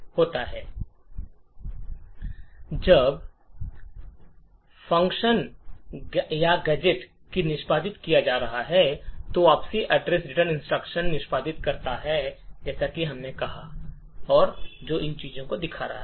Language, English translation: Hindi, Now when the function or the gadget being executed executes the return instruction as we have said there are two things that would happen